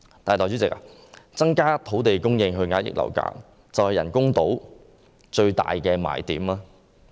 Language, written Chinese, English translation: Cantonese, 但是，代理主席，增加土地供應以遏抑樓價，就是人工島最大的賣點嗎？, However Deputy President is an increase in land supply to suppress property prices the biggest selling point of the artificial islands project?